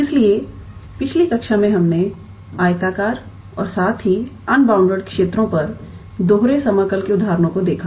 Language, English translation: Hindi, So, in the last class we looked into the examples of double integrals on rectangular as well as unbounded regions